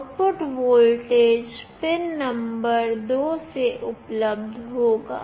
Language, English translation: Hindi, The output voltage will be available from pin number 2